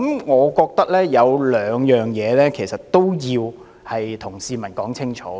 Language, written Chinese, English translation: Cantonese, 我覺得有兩點要對市民說清楚。, I think there are two points we have to make clear to members of the public